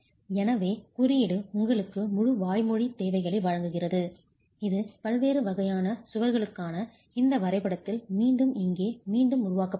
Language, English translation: Tamil, So what the code gives you an entire set of verbal requirements which is again reproduced here in this drawing for the different types of walls